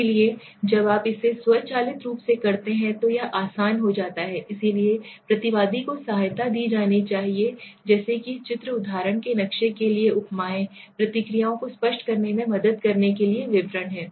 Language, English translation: Hindi, So when you do this automatically it becomes easier so respondent should be given aid such as pictures, similes for example maps, descriptions to help the articulate the responses, okay